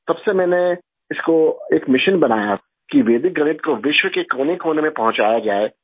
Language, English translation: Urdu, Since then I made it a mission to take Vedic Mathematics to every nook and corner of the world